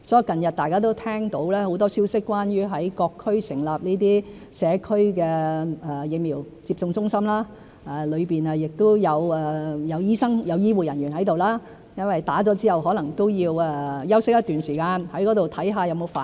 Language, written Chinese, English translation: Cantonese, 近日大家都聽到很多關於在各區成立社區疫苗接種中心的消息，當中會有醫生和醫護人員在場，因為市民接種後可能也要在中心休息一段時間，看看有沒有反應。, Recently people have heard a lot about Community Vaccination Centres staffed with medical practitioners and healthcare personnel being set up in various districts as people may have to rest for a while after vaccination to see if there is any reaction